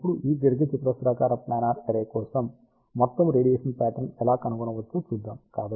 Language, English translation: Telugu, So, now, let us see how we can find out the overall radiation pattern for this rectangular planar array